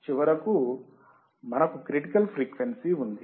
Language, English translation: Telugu, Then finally, we have critical frequency